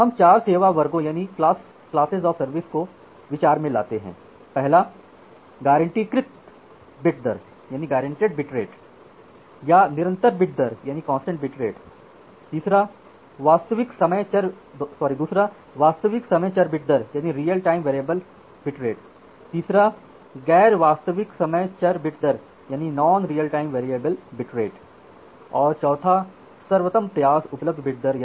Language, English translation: Hindi, So, considering those 4 classes of service, the guaranteed bit rate or the constant bit rate, the real time variable bit rate, the non real time variable bit rate and a best effort are available bit rate